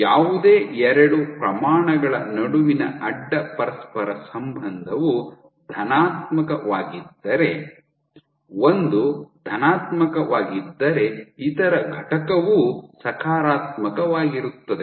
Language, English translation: Kannada, Cross correlation as positive would mean between any two quantities would mean that one guy if is positive the other unit also would be positive